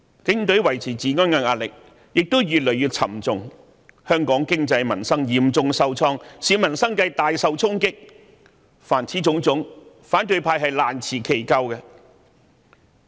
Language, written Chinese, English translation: Cantonese, 警隊維持治安的壓力越趨沉重，香港的經濟民生亦嚴重受創，市民生計大受影響，凡此種種，反對派均難辭其咎。, The maintenance of law and order by the Police has become more and more difficult . The Hong Kong economy has been dealt a heavy blow and the livelihood of the citizens greatly affected . The non - pro - establishment Members should be held responsible for all of these